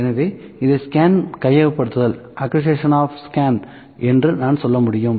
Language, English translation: Tamil, So, it is this is I can say acquisition of scan